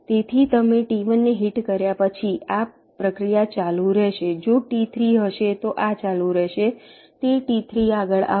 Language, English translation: Gujarati, after you hit t one, if there is a t three, that t three will come next